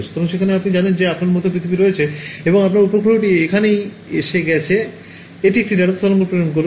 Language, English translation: Bengali, So, there you know you have the earth like this and you have one turn one your satellite is over here right, its sending a radar wave